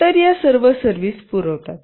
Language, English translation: Marathi, So, it provides all these services